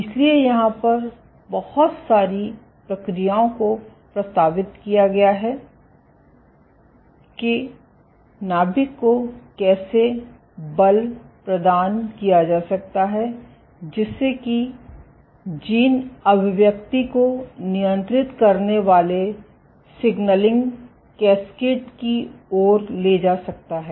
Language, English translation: Hindi, So, there are various mechanisms which have been proposed as to how forces transmitted to the nucleus, might lead to a signaling cascade controlling gene expression ok